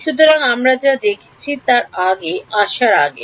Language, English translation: Bengali, So, before we come to that what we have seen